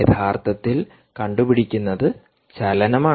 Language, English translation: Malayalam, what it can actually detect is motion